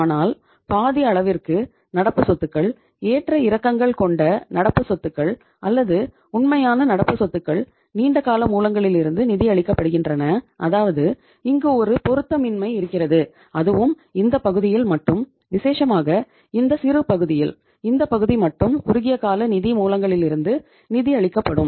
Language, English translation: Tamil, But you are funding your half of the current assets, fluctuating current assets or real current assets from the long term sources, it means here is a mismatch right and only this part, particularly this part smaller part, only this part will be financed from the short term sources of the funds